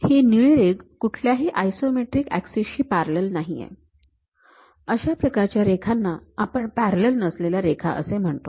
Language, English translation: Marathi, Any line that does not run parallel to isometric axis is called non isometric line